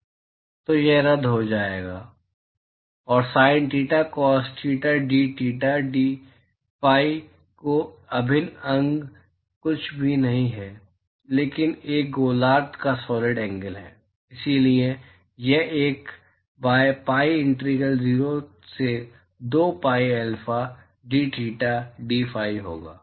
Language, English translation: Hindi, So, that will cancel out and the integral of the sin theta cos theta dtheta dphi is nothing, but solid angle of a hemisphere, so, that will be 1 by pi integral 0 to 2 pi alpha dtheta dphi